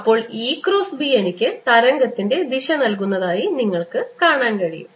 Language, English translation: Malayalam, what you can see is that e cross b gives me the direction of the wave